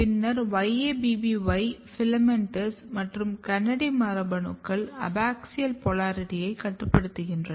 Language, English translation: Tamil, So, remember FILAMENTOUS and YABBY genes are regulator of abaxial surface